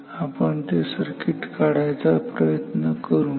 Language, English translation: Marathi, So, now, let us draw the circuit